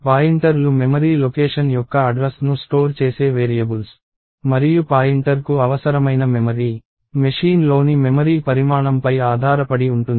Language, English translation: Telugu, So, pointers are themselves variables that store the address of the memory location and the memory required by a pointer depends upon the size of the memory in the machine